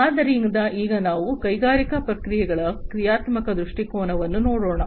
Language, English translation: Kannada, So, now let us look at the functional viewpoint of industrial processes